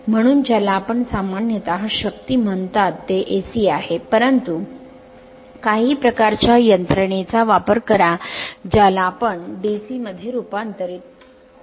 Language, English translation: Marathi, So, in your what you called generally the power it is AC, but we use some kind of mechanism such that it will your what you call it will be converted to DC right